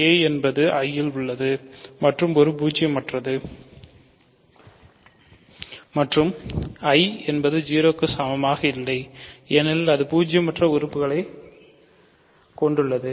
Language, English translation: Tamil, So, a is in I and a is non zero, I is not equal to 0 right because it contains a non zero element